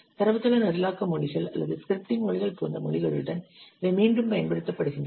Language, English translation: Tamil, These are we used with languages such as database programming languages or scripting languages